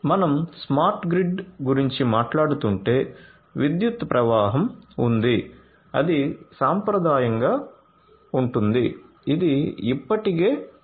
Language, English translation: Telugu, So, if we are talking about the smart grid, there is power flow that has that is traditional that has been there already so power flow